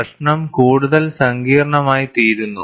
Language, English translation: Malayalam, The problem becomes more and more complex